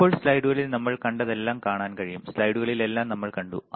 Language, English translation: Malayalam, Now, we can see everything we have seen in the in the slides right, we have seen everything in the slides